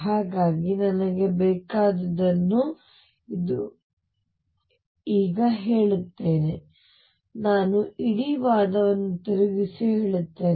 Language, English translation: Kannada, So, let me now state what I want to say I turn the whole argument around and say